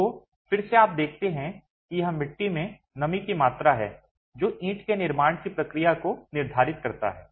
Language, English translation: Hindi, So, again you see that it's the moisture content in the clay that determines the kind of manufacturing process itself of the brick